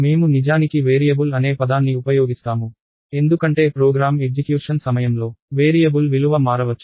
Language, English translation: Telugu, So, we actually use the term variable, because the value of a variable can change during the execution of the program